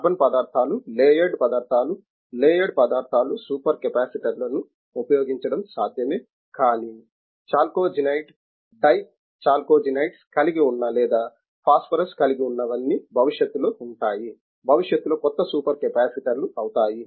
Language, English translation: Telugu, A carbon materials are layered materials may be layered materials are possible to use a super capacitors, but chalcogenides, dichalcogenides sulphur containing or phosphorous containing all these things will be in the future will be new super capacitors like that we can go on taking about it in the materials in the catalysis or any field